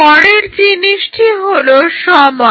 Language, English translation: Bengali, Next thing which comes is time